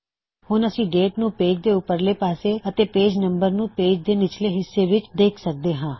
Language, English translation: Punjabi, So we can see the Date at the top of the page and the page number at the bottom